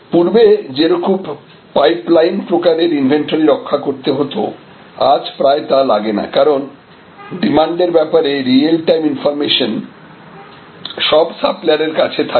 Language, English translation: Bengali, So, the pipe line sort of inventory, now if often not required, because real time information about demand will be available to all the suppliers